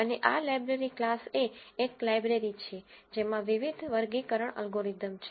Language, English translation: Gujarati, And this library class is a library which contains different classification algorithms